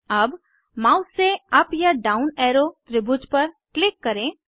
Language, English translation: Hindi, Click on up or down arrow triangles with the mouse